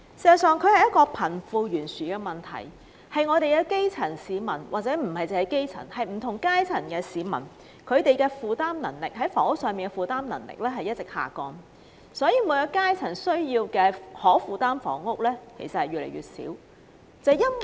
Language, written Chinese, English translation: Cantonese, 事實上，這涉及貧富懸殊，問題的核心在於基層市民，甚或不同階層市民負擔房屋的能力一直下降，即每一階層市民所能負擔的房屋，其實是越來越少。, Actually they have something to do with the disparity between the rich and the poor . The core problem actually lies in the constantly deteriorating housing affordability among grass - roots people or even people from different social strata . That is to say there are fewer and fewer affordable housing units available to people of each social stratum